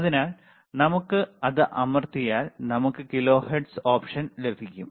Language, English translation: Malayalam, So, we can just press and we can have kilohertz option